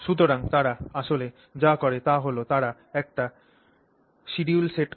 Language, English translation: Bengali, So what they actually do is they will set up a schedule